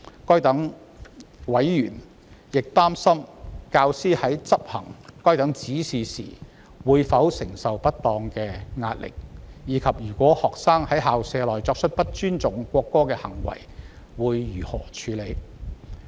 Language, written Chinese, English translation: Cantonese, 該等委員亦擔心，教師在執行該等指示時會否承受不當的壓力，以及若學生在校舍內作出不尊重國歌的行為，應如何處理。, They are also concerned whether undue pressure would be exerted on teachers in the implementation of the directions and what should be done if students perform acts that show disrespect for the national anthem within the school premises